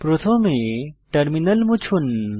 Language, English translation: Bengali, Lets clear the terminal first